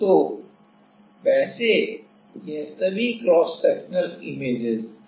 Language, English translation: Hindi, So, by the way this is all are cross sectional images